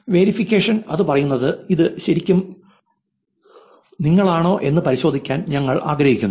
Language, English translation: Malayalam, Verification, saying that, we want to verify whether it is really you, please click and verify